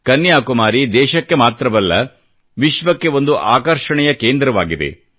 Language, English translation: Kannada, Kanyakumari exudes a special attraction, nationally as well as for the world